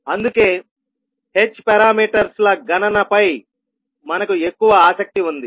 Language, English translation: Telugu, That is why we have more interested into the h parameters calculation